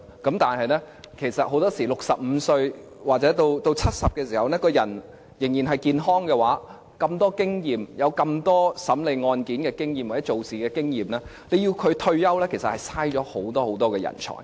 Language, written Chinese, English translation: Cantonese, 如果法官到了65歲或是70歲的時候，人仍然健康的話，又擁有如此多審理案件經驗或工作經驗，要求他們退休其實是浪費了人才。, It will be a waste of talents if judges are required to retire when they reach the age of 65 or 70 given that they are still healthy and have rich experience in work and in judging cases